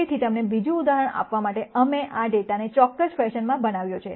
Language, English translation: Gujarati, So, to give you another example, we have generated this data in a particular fashion